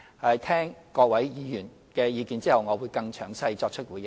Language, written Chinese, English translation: Cantonese, 在聽取各位議員的意見後，我會更詳細作出回應。, After listening to the views to be expressed by Honourable Members I will give a more detailed response